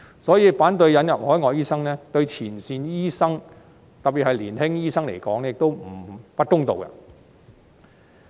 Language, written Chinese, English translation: Cantonese, 所以，反對引入海外醫生對前線醫生——特別是年輕醫生——來說，亦不公道。, Therefore opposing the admission of overseas doctors is not fair to frontline doctors―particularly the young ones―as well